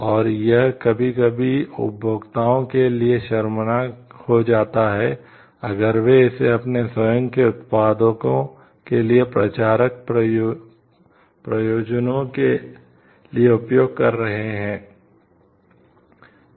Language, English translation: Hindi, And that sometimes becomes embarrassing for the consumers, if they are using it for promotional purposes for their own products